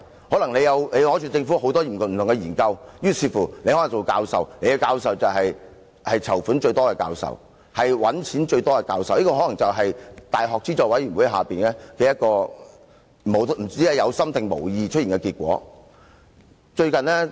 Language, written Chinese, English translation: Cantonese, 可能你取得政府很多不同的研究，於是你可以作為"籌款"、"賺錢"最多的教授，這也可能是教資會下，一個不知是有心還是無意出現的結果。, If a professor can get many different research projects from the Government he or she will be regarded as a professor with fund - raising or profit - making capability . This is the outcome intended or unintended of the UGC policy